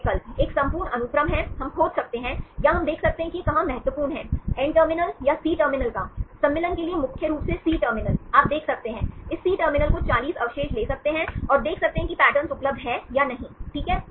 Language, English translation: Hindi, The 2 options, one is the whole sequence, we can search or we can see where this is important, of the N terminal or the C terminal; mainly C terminal for the insertion, you can see, take this C terminal forty residues and see whether the pattern is available or not, fine